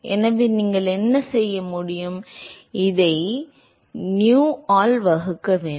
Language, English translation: Tamil, So, what you can do is you divide this by nu